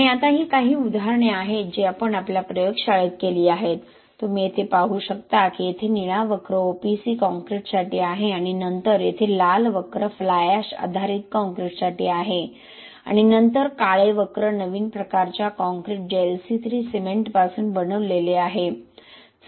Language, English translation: Marathi, And now one this is some examples which we did it in our lab, you can see here the blue curve here is for OPC concrete and then the red curve here is for the fly ash based concrete and then the black curves are for a new type of concrete which is made out of LC3 cement